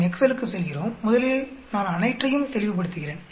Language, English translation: Tamil, Let us go to Excel, first let me clear the whole thing